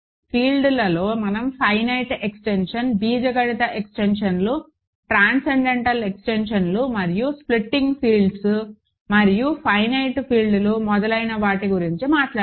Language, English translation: Telugu, And in fields we talked about finite extensions, algebraic extensions, transcendental extensions and splitting fields and finite fields and so on